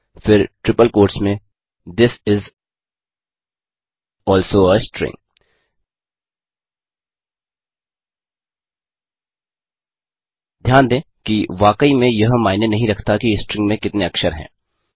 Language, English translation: Hindi, Then in triple double quotes This is also a string Note that it really doesnt matter how many characters are present in the string